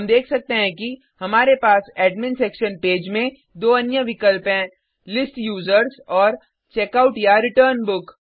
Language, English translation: Hindi, We can see that we have two more options in the Admin Section Page List Users and Checkout/Return Book